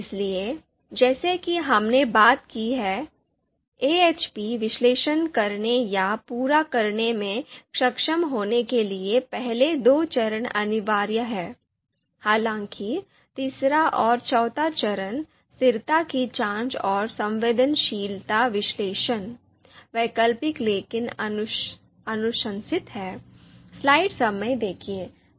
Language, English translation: Hindi, So as we have talked about, the first two steps are mandatory steps for us to be able to perform the or complete the AHP analysis; however, the third and fourth step that is consistency check and sensitivity analysis, they are optional but recommended